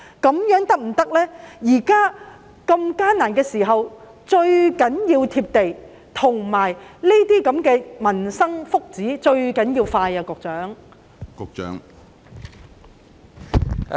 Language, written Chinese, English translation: Cantonese, 在這個艱難的時候，最重要的是要"貼地"，而涉及民生福祉的措施最重要是速度要快。, At this difficult time it is most important to be down to earth and speed really matters when the initiatives are related to peoples livelihood and well - being